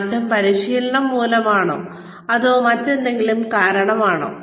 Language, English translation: Malayalam, Is the change, due to the training, or is it, due to something else